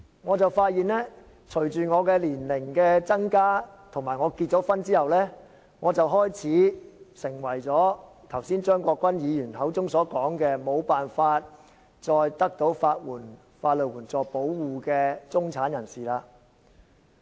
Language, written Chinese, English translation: Cantonese, 我發現隨着我年齡增加，以及我結婚後，我開始成為剛才張國鈞議員口中所說的，沒有辦法再得到法援保護的中產人士。, I discover that as I grow older and after I have got married I am now considered a member of the middle class who cannot enjoy the protection of legal aid as said by Mr CHEUNG Kwok - kwan just now